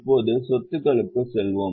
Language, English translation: Tamil, Now we will go to assets